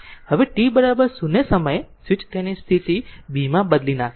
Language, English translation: Gujarati, Now, at time t is equal to 0, the switch changes its position to B